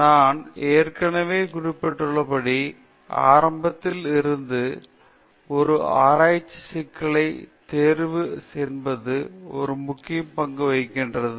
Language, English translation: Tamil, As I already mentioned, right from the beginning, the selection of a research problem itself ethics plays a very important role